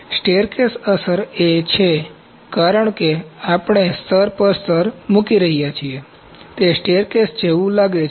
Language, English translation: Gujarati, Staircase effect is because we are putting a layer on layer, it looks like a staircase